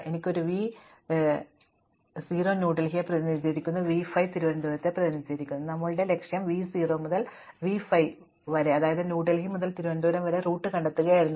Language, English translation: Malayalam, So, here we have v 0 represents New Delhi and v 5 represents Trivandrum, and our goal was to find a route from v 0 to v 5 from New Delhi to Trivandrum